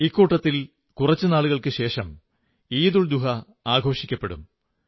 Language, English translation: Malayalam, In this series of festivals, EidulZuha will be celebrated in a few days from now